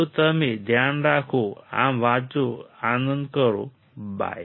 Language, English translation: Gujarati, So, you take care read this and have fun bye